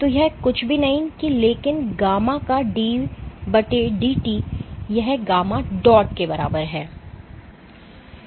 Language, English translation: Hindi, So, this is nothing, but d/dt of gamma this is equal to gamma dot